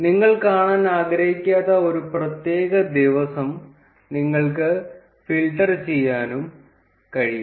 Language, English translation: Malayalam, You can also filter out a particular day that you do not want to see